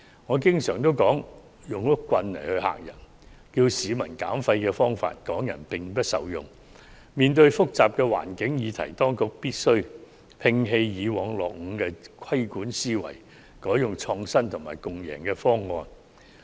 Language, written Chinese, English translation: Cantonese, 我始終認為採取嚇唬的方式要求市民減廢，港人並不受用，面對複雜的環境議題，當局必須摒棄過往的落伍規管思維，改為採用創新和共贏的方案。, I always consider that scaremongering tactics for reducing waste do not work for the people of Hong Kong . In the face of the complicated environment issues the Government should abandon its outdated mindset of favouring regulation and should instead adopt an innovative and win - win approach to achieve its objectives